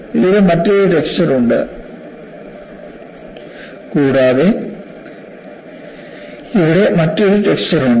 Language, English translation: Malayalam, So, this has a different texture and this has a different texture